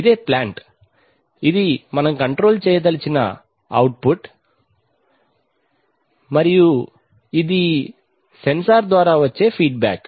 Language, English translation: Telugu, This is the plant itself, this is the output which we want to control and this is the feedback through the sensor